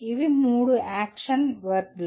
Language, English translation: Telugu, These are the three action verbs